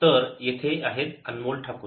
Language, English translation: Marathi, so here is anmol takur